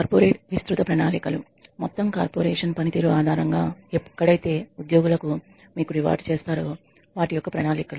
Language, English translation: Telugu, Corporate wide plans are plans where you are rewarded where you reward employees based on the entire corporation